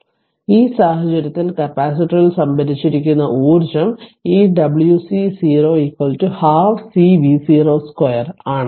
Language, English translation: Malayalam, So, in this case the stored energy in the capacitor is this w c 0 is equal to half C V 0 square right